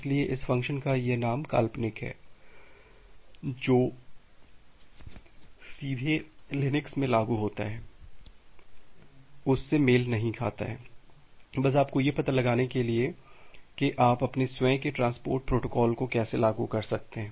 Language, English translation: Hindi, So, this name of this function are hypothetical not directly matches to it what is implemented in the Linux, just to give you an idea about how you can implement your own transport protocol